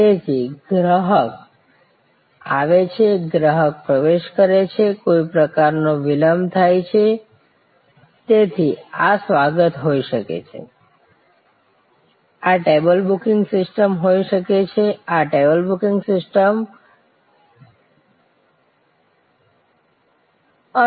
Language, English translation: Gujarati, So, customer comes in, customers entry, there is some kind of delay, so this can be the reception, this can be the table booking system, this can be the ticket booking system, whatever